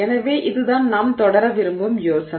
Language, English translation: Tamil, So, this is the idea that we would like to pursue